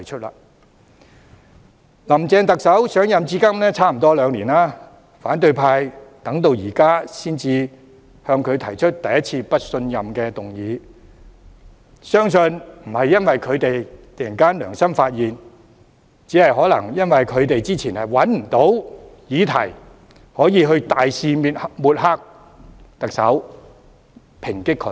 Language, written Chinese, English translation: Cantonese, 林鄭特首上任至今接近兩年，反對派到這一刻才首次對她提出不信任議案，相信並非因為他們突然良心發現，而是可能因為他們之前找不到可以大肆抹黑和抨擊特首的議題。, It is not until this moment that the opposition camp has proposed a motion of no confidence in her for the first time . I do not believe it is because they are suddenly moved by their conscience . Rather it may be because they were previously unable to find any material to launch a massive campaign of smear and attack on the Chief Executive